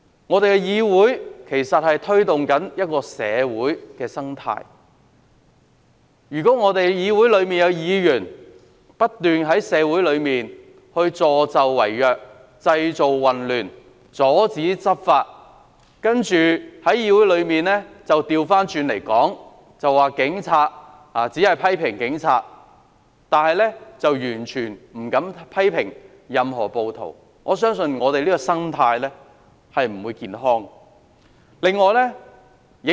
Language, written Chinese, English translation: Cantonese, 我們的議會其實影響社會的生態，如果議會內有議員不斷在社會上助紂為虐、製造混亂、阻止執法，然後在議會內把事情倒過來說，只批評警察，完全不敢批評任何暴徒。我相信這樣的議會生態是不健康的。, Our legislature actually correlates with the ecology of society . I believe the ecology of the legislature will not be healthy if some Members continue to side with the evil - doers in society to stir up trouble and obstruct law enforcement and then tell an opposite story in the legislature attacking merely the Police without saying a word of criticism against the rioters